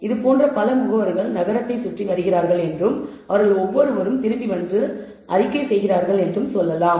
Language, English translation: Tamil, Let us say that there are several such agents roaming around the city and so on and each of them come back and report